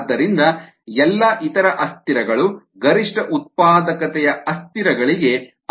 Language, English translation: Kannada, so all the other variables should also correspond to the maximum productivity variables